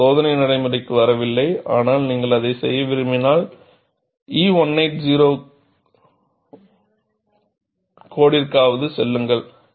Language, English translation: Tamil, We are not getting into the test procedure, but we at least know, if you want to do that, go to code E 1820